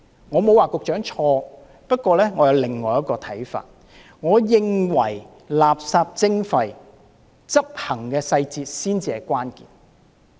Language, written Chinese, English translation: Cantonese, 我不是說局長錯，而是我有另一個看法，我認為垃圾徵費的執行細節才是關鍵。, Well I am not saying that the Secretary is wrong . It is only that I have a different view . I think that the implementation details of the waste charging scheme is the key to its success